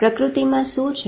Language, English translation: Gujarati, What in nature